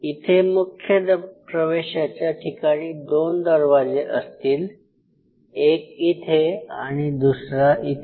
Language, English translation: Marathi, Now here are the entry port you could have 2 sets of doors one here one here